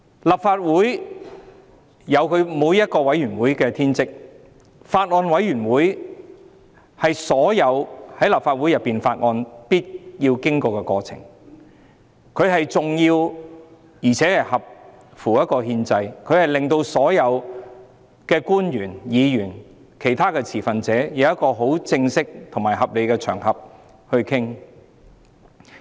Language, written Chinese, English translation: Cantonese, 立法會每個委員會均有其天職，法案委員會的審議是所有法案必須經過的過程，既重要且合乎憲制，令所有官員、議員及其他持份者能有一個正式及合理的場合進行討論。, It will set a very bad precedent . Each committee of the Legislative Council has its respective bounden duties . All Bills must undergo scrutiny by a Bills Committee which is important and constitutional so that all public officers Members and other stakeholders can hold discussions on a formal and sensible occasion